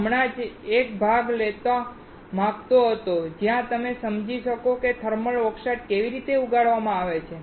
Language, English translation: Gujarati, I just wanted to take a part where you can understand how the thermal oxide is grown